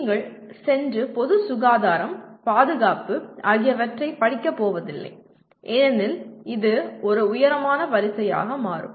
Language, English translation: Tamil, You are not going to go and study public health, safety because it will become a tall order